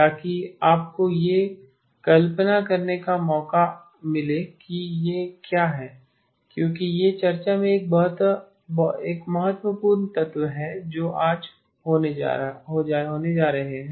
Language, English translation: Hindi, So that you get a chance to sort of visualize what it is because that is an important element in the discussion that we are going to be having today